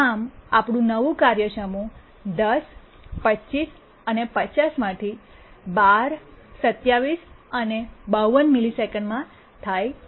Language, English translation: Gujarati, So our new task set becomes 12, 27 and 50 milliseconds